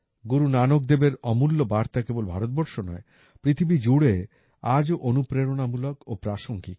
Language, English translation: Bengali, Guru Nanak Ji's precious messages are inspiring and relevant even today, not only for India but for the whole world